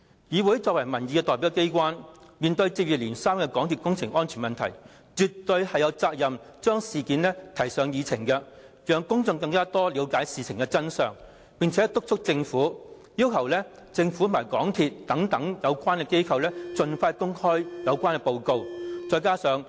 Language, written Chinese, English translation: Cantonese, 議會是民意代表機關，面對接二連三的港鐵公司工程安全問題，絕對有責任將事件提上議程，讓公眾更了解事件的真相，並且督促政府，要求政府和港鐵公司等有關機構盡快公開有關的報告。, This Council serves as the representative of public opinions . In the face of a spate of incidents associated with the safety of MTRCL projects the Council is absolutely duty - bound to put this into the agenda to let the public know the true story and to request and urge the Government MTRCL and relevant institutions to make public the relevant reports